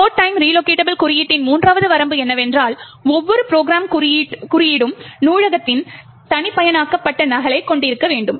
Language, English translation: Tamil, Third limitation of the load time relocatable code is that each program code, should have its own customized copy of the library